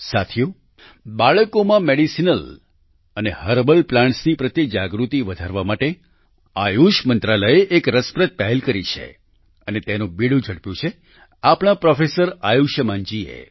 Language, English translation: Gujarati, the Ministry of Ayush has taken an interesting initiative to increase awareness about Medicinal and Herbal Plants among children and Professor Ayushman ji has taken the lead